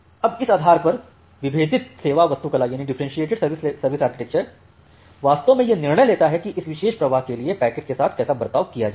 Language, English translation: Hindi, Now based on this differentiated service architecture actually takes the decision about how to treat the packet for this particular flow